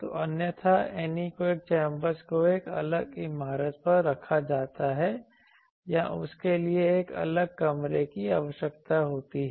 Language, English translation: Hindi, So, otherwise the anechoic chambers they are put on a separate building or separate room is required for that